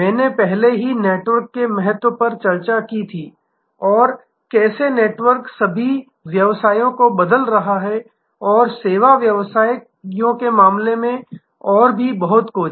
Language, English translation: Hindi, I had already discussed previously the importance of networks and how the networks are changing all businesses and more so in case of service businesses